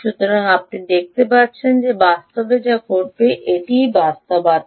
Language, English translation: Bengali, yeah, so you can see that this is what would actually happen in reality